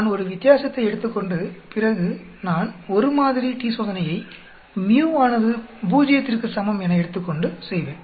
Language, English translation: Tamil, I take a difference and after that I will perform a one sample t Test with the mu is equal to 0